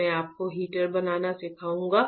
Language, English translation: Hindi, I will teach you how to fabricate the heater right